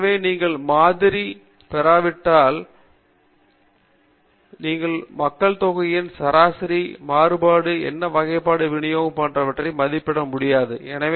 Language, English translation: Tamil, So, once you get the sample, you can estimate the population mean, variance, what kind of distribution it may be having and so on